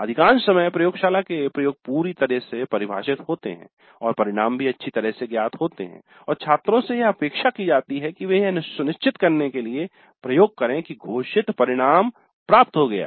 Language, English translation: Hindi, Most of the time the laboratory experiments are totally well defined and the outcome is also well known and the students are expected to simply carry out the experiment to ensure that the stated outcome is achieved